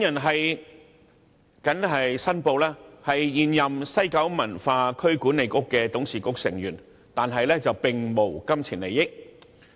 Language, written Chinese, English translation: Cantonese, 我謹此申報，我現為西九文化區管理局的董事局成員，但並無金錢利益。, I hereby declare that I am a Board member of the West Kowloon Cultural District Authority WKCDA but I have no pecuniary interest